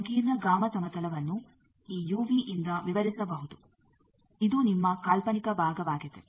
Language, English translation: Kannada, Complex gamma plane can be described by this u v this is your imaginary side